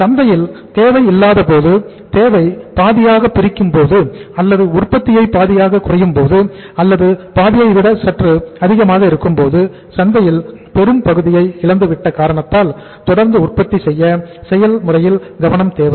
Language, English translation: Tamil, So continuous production process when the demand is not there in the market or the demand had just say say been divided by half or that has just remained come down to half or maybe little more than half because of the loss of the major chunk of the market